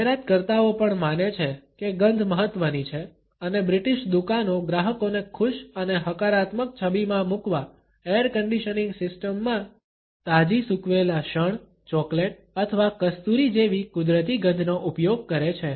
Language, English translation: Gujarati, Advertisers also believe that smell is important and British stores use natural smells such as that of freshly dried linen, chocolate or musk in the air conditioning systems to put customers in a happy and positive frame